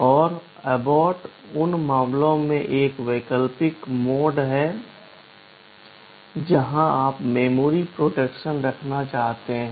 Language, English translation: Hindi, And abort is an optional mode for cases where you want to have memory protection